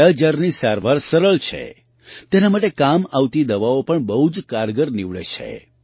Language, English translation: Gujarati, The treatment of 'Kala Azar' is easy; the medicines used for this are also very effective